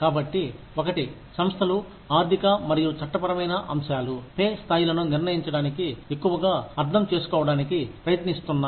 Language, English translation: Telugu, So, one is, organizations are increasingly trying to understand, economic and legal factors, that determine pay levels